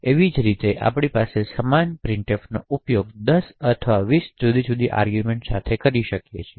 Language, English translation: Gujarati, In a similar way we could have the same printf being invoked with say 10 or 20 different arguments as well